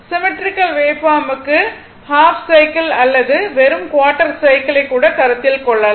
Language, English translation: Tamil, For symmetrical waveform, you have to consider half cycle or even quarter cycle looking at this